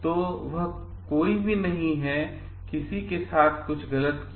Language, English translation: Hindi, So, that nobody, there is no wrong done to anyone